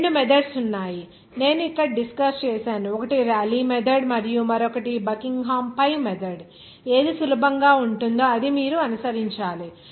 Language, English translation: Telugu, There are two methods that “I have discussed here one is the Rayleigh method and another is Buckingham pi method” which one will be easier, that you have to follow